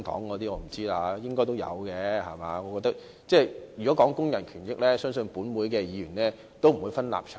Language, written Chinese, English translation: Cantonese, 我覺得如果談及工人權益，相信本會的議員不會分立場。, To me I think Members of this Council should put aside their stances when discussing the issues concerning labour rights and interests